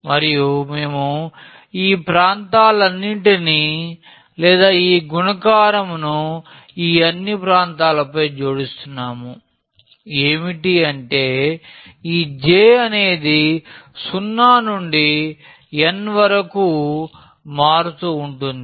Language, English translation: Telugu, And we are adding all these regions or this multiplication over these all regions; that means, this j is varying from 0 to n